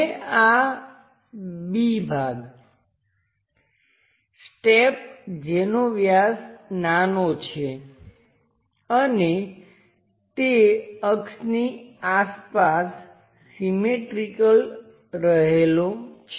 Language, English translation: Gujarati, Now this B part, the step one having lower diameter and is symmetrically placed around that axis